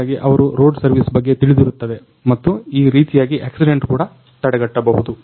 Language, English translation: Kannada, So, that they can be also aware about the road service and accident also can be avoided in this way